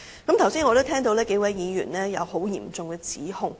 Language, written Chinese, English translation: Cantonese, 我剛才也聽到有數位議員作出嚴重的指控。, Just now I have heard serious accusations made by several Members